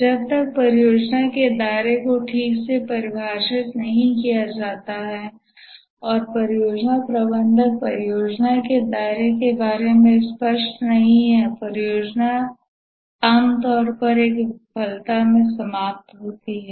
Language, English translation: Hindi, Unless the project scope is properly defined and the project manager is clear about the project scope, the project typically ends up in a failure